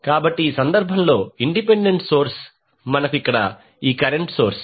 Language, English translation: Telugu, So, independent source in this case is the current source